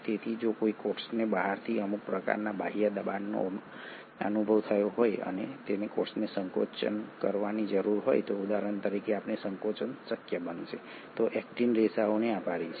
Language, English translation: Gujarati, So if a cell has experienced some sort of an external pressure from outside and the cell needs to contract for example this contraction would be possible, thanks to the actin fibres